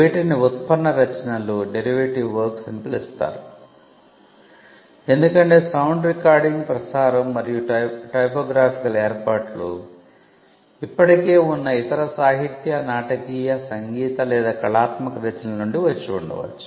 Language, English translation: Telugu, These are called derivative works because, sound recordings broadcast and typographical arrangements could have come from other works that already existed literary dramatic musical or artistic works